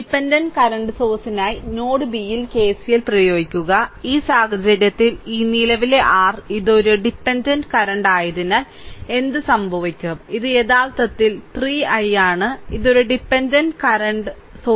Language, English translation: Malayalam, So, for dependent current source we apply KCL at node B, in this case, what will happen that this current your what you call this is a dependent this is a dependent current; this is actually I and this is actually 3 I, this is a dependent current source, right